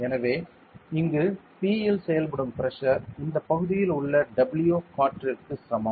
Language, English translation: Tamil, So, the pressure acting over here P will be is equal to W air correct W air by this area